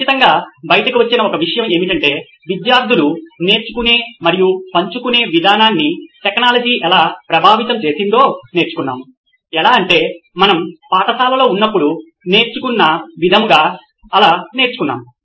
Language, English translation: Telugu, One thing that definitely came out is how technology has influenced the way students are learning and sharing versus how we used to learn when we were in school